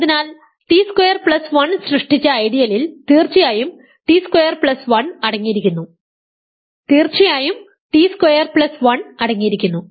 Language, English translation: Malayalam, So, the ideal generated by t squared plus 1 is of course, ideal the generated by t squared plus 1 this contains t squared plus 1 this of course, contain t squared plus 1